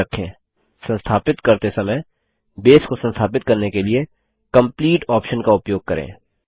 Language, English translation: Hindi, Remember, when installing, use the Complete option to install Base